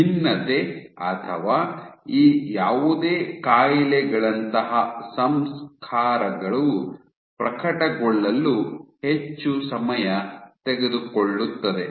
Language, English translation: Kannada, So, processors like differentiation or any of these diseases are take much more longer time to manifest